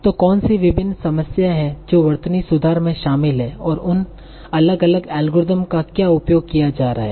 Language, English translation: Hindi, So what are the various problems that are involved in spelling correction and what are the different algorithms that we will be using